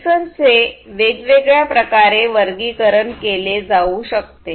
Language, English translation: Marathi, The sensors could be classified in different, different ways